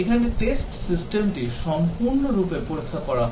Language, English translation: Bengali, Here, the test system is tested as a whole